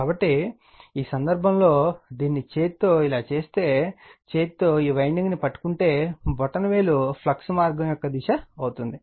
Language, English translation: Telugu, So, in this case if you make it like this by right hand, if you grab this way your what you call this winding by right hand, then thumb will be the direction of the flux path